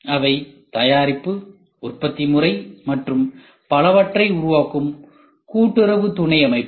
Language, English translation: Tamil, They are cooperative subsystem that forms product, manufacturing system and so on